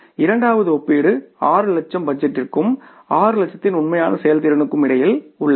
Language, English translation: Tamil, So first comparison is between 7 lakhs and 6 lakhs and second comparison is between budget of 6 lakhs and the actual performance of 6 lakhs